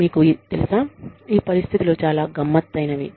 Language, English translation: Telugu, You know, these situations can become very tricky